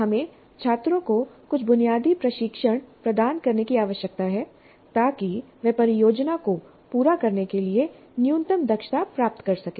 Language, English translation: Hindi, So we need to provide some basic training to the students so that they get some minimal competencies to carry out the project